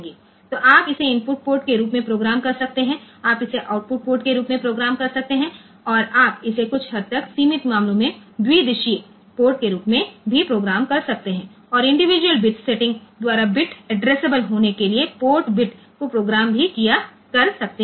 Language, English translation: Hindi, So, you can program it as input port you can program it as output port and, you can also program it as bidirectional ports in some cases some limited cases and also you can program some of the port bits to be bit addressable by individual bit setting can be done, they also have handshaking capability